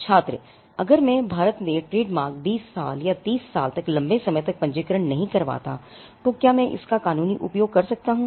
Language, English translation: Hindi, Student: With the law of we applicable, if I do not register a trademark in India and still for if a long time for 20 years, or 30 years can I use it law of